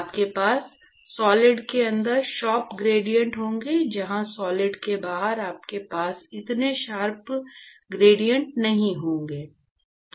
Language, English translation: Hindi, So, you will have sharp gradients inside the solid, while you will have not so sharp gradients outside the solid